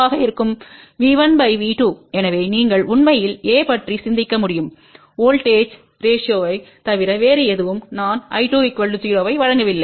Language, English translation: Tamil, So, you can actually think about A is nothing but voltage ratio provided I 2 is equal to 0